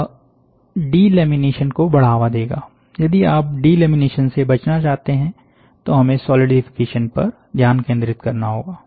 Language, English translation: Hindi, It will lead to delamination, you want to avoid delamination, so we have to focus on solidification